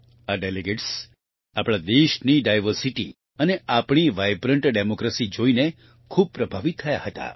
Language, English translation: Gujarati, These delegates were very impressed, seeing the diversity of our country and our vibrant democracy